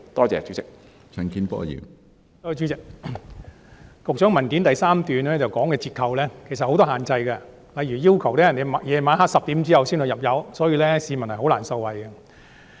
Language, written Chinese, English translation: Cantonese, 主席，局長在主體答覆第3部分提及的折扣其實設有很多限制，例如要求司機在晚上10時後入油才可享有優惠，所以他們是難以受惠的。, President the discounts which the Secretary mentioned in part 3 of the main reply go with many conditions . For example some require drivers to use the discount only after 10 pm . It is thus very difficult for them to benefit from the discounts